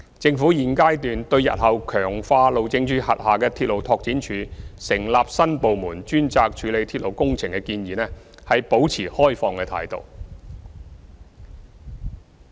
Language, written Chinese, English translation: Cantonese, 政府現階段對日後強化路政署轄下的鐵路拓展處或成立新部門專責處理鐵路工程的建議，保持開放的態度。, At the present stage the Government will maintain an open attitude towards the proposal to strengthen RDO under HyD or set up a new department dedicated to railway works